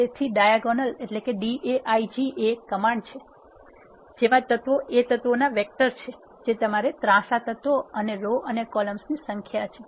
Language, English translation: Gujarati, So, this is the command diag, the elements are vector of elements you want to have as diagonal elements and the rows and number of columns